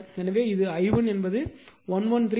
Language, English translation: Tamil, So, it is i 1 is 113